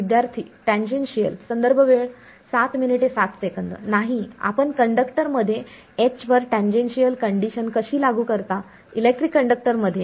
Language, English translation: Marathi, No, how do you apply tangential conditions on H in a conductor; in a electric conductor